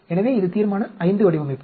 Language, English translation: Tamil, So, this is the Resolution V design